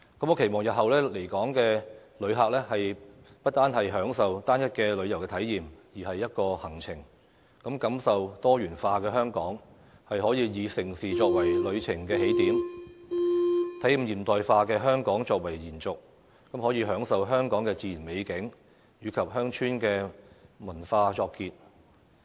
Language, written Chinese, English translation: Cantonese, 我期望日後來港的旅客，不單是享受單一的旅遊體驗，而是一個行程，感受多元化的香港，可以以盛事作為旅程的起點，體驗現代化的香港作為延續，再以享受香港的自然美景及鄉村文化作結。, I hope that future visitors to Hong Kong will not merely enjoy a homogeneous tourism experience but instead have a journey across a diversified Hong Kong which starts from mega events followed by the observation of a modern Hong Kong and ends with the appreciation of the natural beauty and rural culture of Hong Kong